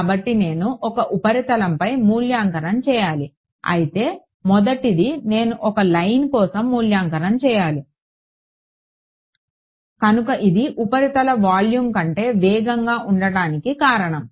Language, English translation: Telugu, So, I have to evaluate over a surface whereas, the first one I have to evaluate over a line right; So that is the reason the surface is faster than the volume